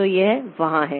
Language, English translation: Hindi, So this is there